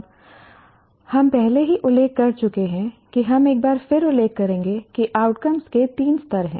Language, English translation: Hindi, Now we have already mentioned, we will once again mention that there are three levels of outcomes